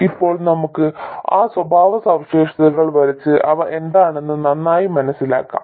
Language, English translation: Malayalam, Now let's catch those characteristics and get a better feel for what they are